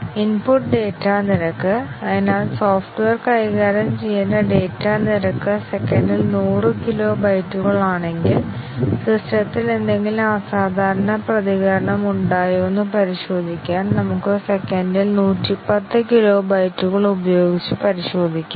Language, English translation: Malayalam, Input data rate; so, if the data rate that the software is required to handle is 100 kilo bytes per second, we might test with 110 kilo bytes per second, just to check is there any abnormal reaction by the system